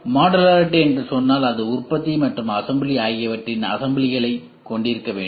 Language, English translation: Tamil, If I say modularity it is intern it has to have a subset of manufacturing and assembly